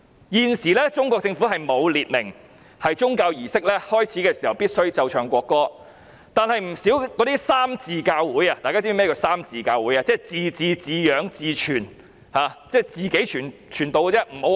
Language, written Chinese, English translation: Cantonese, 現時中國政府沒有訂明宗教儀式開始時必須奏唱國歌，但不少三自教會——大家是否知道甚麼是三自教會？, At present the Chinese Government does not stipulate that the national anthem must be played and sung before the commencement of religious services but many three - self churches―do Honourable colleagues know what three - self churches are?